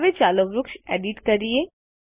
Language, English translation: Gujarati, Now, lets edit the tree